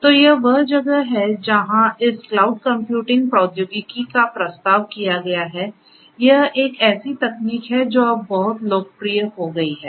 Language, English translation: Hindi, So, that is where this cloud computing technology has been has been proposed, so this is a technology that has become very popular now